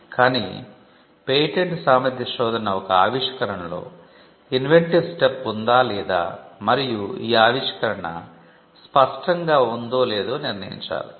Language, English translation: Telugu, But patentability searches throughout the world are directed in determining whether there is inventive step, or whether the invention is obvious or not